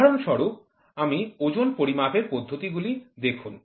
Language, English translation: Bengali, For example, you see the methods of measurement weight